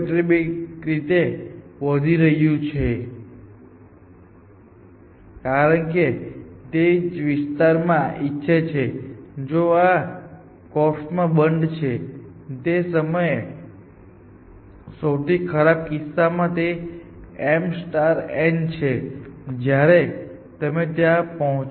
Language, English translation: Gujarati, Initially of course, it will be very small, but the size of closed is going quadractically, because that is would like the area, which is enclosed in this korf, which is m into n in the worst case at that point, when you reach there